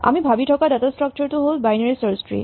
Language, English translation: Assamese, The data structure we have in mind is called a binary search tree